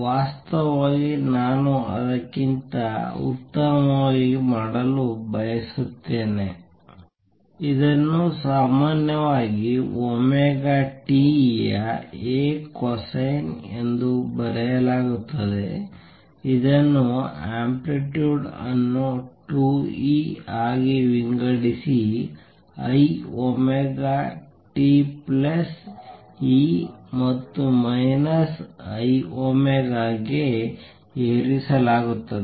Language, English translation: Kannada, In fact, I want to do better than that; this is usually written as A cosine of omega t which is amplitude divided by 2 e raise to i omega t plus e raise to minus i omega t